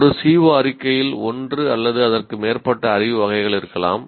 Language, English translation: Tamil, And also we said a CO statement can include one or more categories of knowledge